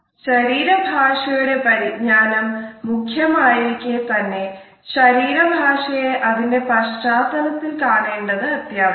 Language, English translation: Malayalam, Whereas it is important to understand body language, we find that contextualizing our body language is equally important